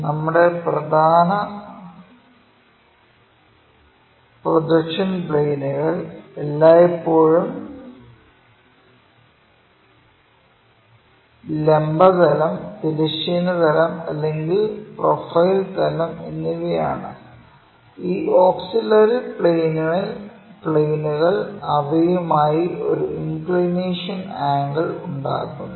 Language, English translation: Malayalam, So, our principle projection planes are always be vertical plane, horizontal plane and side or profile plane and these auxiliary planes may make an inclination angle with them